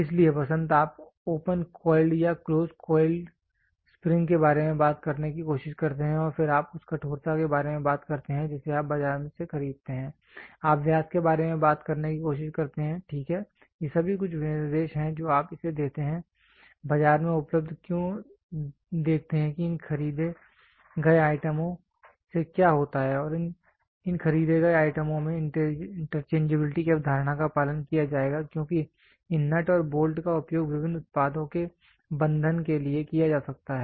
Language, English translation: Hindi, So, spring you try to talk about opened open coiled or close coiled spring and then you talk about the stiffness that is it you buy it from the market, you try to talk about diameter, right, these are all some specification you give this is available in the market why see what happens to all these bought out items these bought out items will follow a concept of interchangeability because these this nut and bolt can be used for fastening of various products